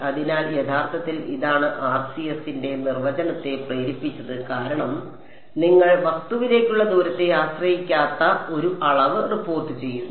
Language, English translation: Malayalam, So, this is actually what motivated the definition of RCS because you are reporting a quantity that does not strictly speaking depend on the distance to the object